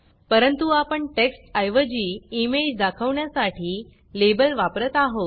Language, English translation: Marathi, However, you are using the label to display an image rather than text